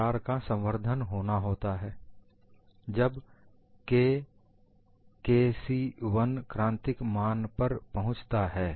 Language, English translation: Hindi, The crack has to propagate when the value reaches critical value of K 1c